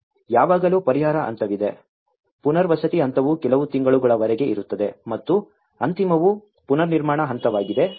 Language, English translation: Kannada, There is always a relief stage, there is a rehabilitation stage which goes for a few months and the final is the reconstruction stage